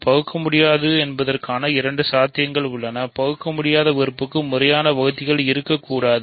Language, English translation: Tamil, So, we have two possibilities an irreducible device; an irreducible element cannot have proper divisors